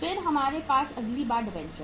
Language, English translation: Hindi, Then we have next thing is the debentures